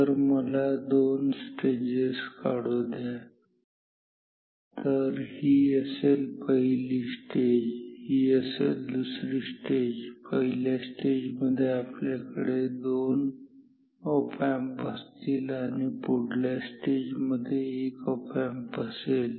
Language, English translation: Marathi, So, let me draw two stages this is this once this is going to do one stage and this is going to be other stage; first stage will have 2 op amps next stage will have 1 op amp